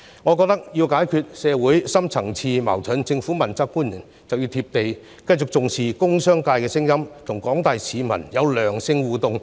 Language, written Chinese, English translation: Cantonese, 我認為要解決社會深層次矛盾，政府問責官員需要"貼地"，繼續聽取工商界的聲音，與廣大市民保持良性互動。, I think that in order to solve the deep - seated conflicts in society accountability officials of the Government must adopt a realistic approach continue to listen to the voices of the industrial and commercial sectors and maintain positive interactions with the general public